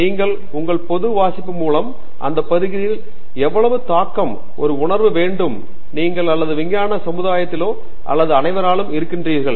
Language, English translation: Tamil, You also have through your general reading you will also have a sense of how much impact that area has to the neighborhood you are in or to the scientific community or the vault over all